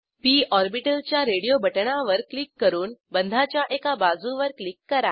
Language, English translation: Marathi, Click on p orbital radio button then click on one edge of the bond